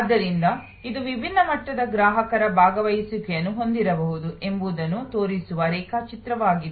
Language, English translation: Kannada, So, this is a diagram which simply shows that there can be different level of customer participation